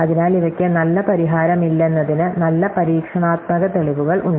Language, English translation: Malayalam, Therefore, there is good experimental evidence that there is no good solution for these